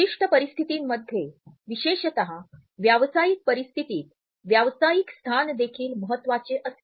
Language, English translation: Marathi, In certain scenarios particularly in professional situations one status is also important